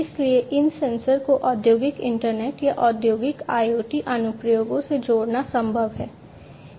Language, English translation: Hindi, So, it is possible to connect these sensors to have you know industrial internet or industrial IoT applications